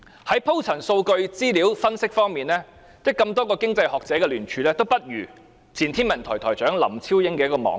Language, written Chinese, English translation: Cantonese, 在鋪陳數據和資料分析方面，多位經濟學者的聯署文件，質素都不如前天文台台長林超英的網誌。, In respect of the presentation of figures and the analysis of information the jointly signed document by a number of economists are of inferior quality as compared to the blog entries of LAM Chiu - ying former Director of Hong Kong Observatory